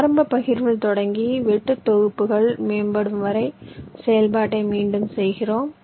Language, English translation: Tamil, starting with a initial partition, we repeat iteratively the process till the cutsets keep improving